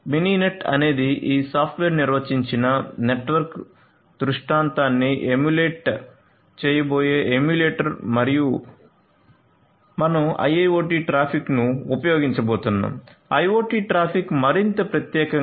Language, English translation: Telugu, So, Mininet is the emulator of with which we are going to emulate this software defined network scenario and we are going to use the IIoT traffic; IoT traffic more specifically